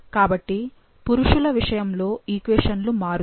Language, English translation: Telugu, So, when it comes to male, the equations will change